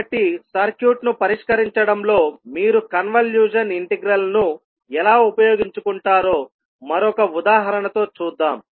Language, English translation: Telugu, So let us see with one another example that how you will utilize the convolution integral in solving the circuit